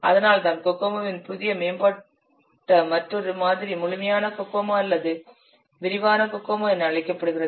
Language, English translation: Tamil, So that's why a new, so another advanced model of Kokomo, it has come into existence that is known as complete Kokomo or detailed Kokomo